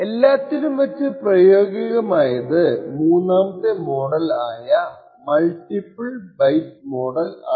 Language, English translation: Malayalam, Third fault model which is the most practical of all is the multiple byte fault model